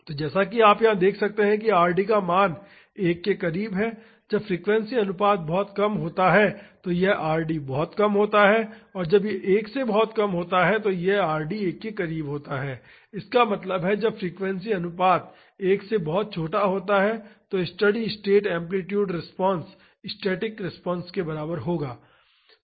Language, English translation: Hindi, So, as you can see here the value of Rd is close to 1, when the frequency ratio this very less it is very when it is very less than 1 Rd is near 1; that means, when the frequency ratio is much smaller than 1, the steady state amplitude response will be equivalent to the static response